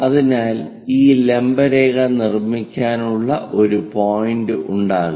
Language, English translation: Malayalam, So, we will be in a position to construct this perpendicular line